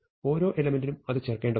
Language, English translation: Malayalam, So, for each element I have to insert it